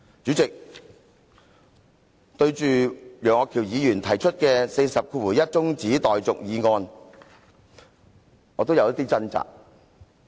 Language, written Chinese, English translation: Cantonese, 主席，對於楊岳橋議員根據《議事規則》第401條動議的中止待續議案，我也有少許掙扎。, President regarding the motion on adjournment moved by Mr Alvin YEUNG under Rule 401 of the Rules of Procedure I have a bit of a struggle